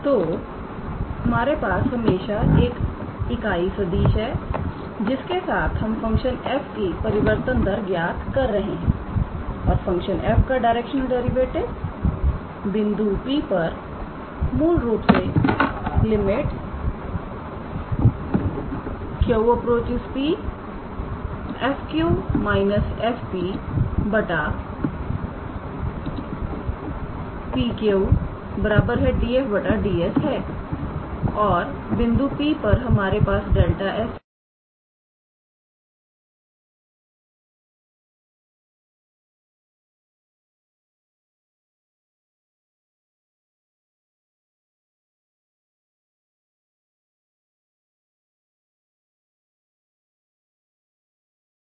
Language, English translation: Hindi, So, we always have a unit vector along which we are calculating the rate of change of the function f and the directional derivative of the function f at this point P is basically when limit Q goes to P we write f Q minus f P by PQ which is basically our del f by del S and at the point P we have this delta S this surface element is that a small element at the point P in the direction of a cap